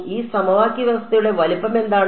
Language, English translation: Malayalam, How what is the size of this system of equations